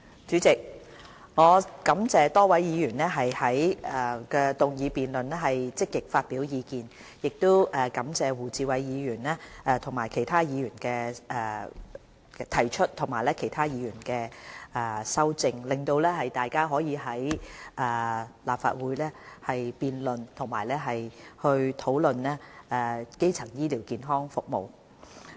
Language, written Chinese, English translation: Cantonese, 主席，我感謝多位議員在議案辯論環節積極發表意見，亦感謝胡志偉議員動議原議案和其他議員提出修正案，讓大家可以在立法會辯論和討論基層醫療健康服務。, President I thank Members for actively expressing their views during the motion debate session . I also thank Mr WU Chi - wai for moving the original motion and the other Members for proposing the amendments which allows us to debate and discuss primary health care services in the Legislative Council